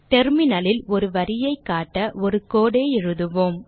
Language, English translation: Tamil, We will now write a code to display a line on the Terminal